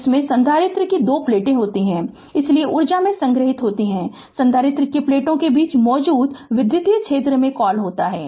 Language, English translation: Hindi, That you have capacitor you have two plates, so energy stored in the, what you call in the electric field that exist between the plates of the capacitor